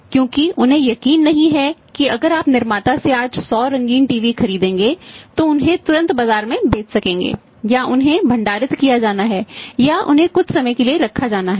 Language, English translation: Hindi, Because they are not sure that directly if you are buying say 100 colour TV is today from the manufacturer and immediately they will be sold in the market they have to be stored they have to be kept for some period of time